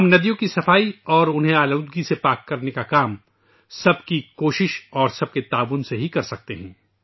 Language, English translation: Urdu, We can very well undertake the endeavour of cleaning rivers and freeing them of pollution with collective effort and support